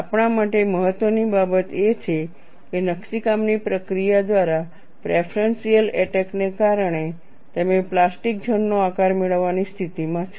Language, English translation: Gujarati, What is important to us is by the process of etching, because of preferential attack, you are in a position to obtain the shape of the plastic zone that is what you have to look at